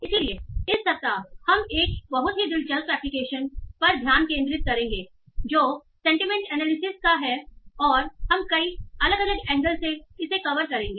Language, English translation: Hindi, So this week we will focus on one other very, very interesting application that is of sentiment analysis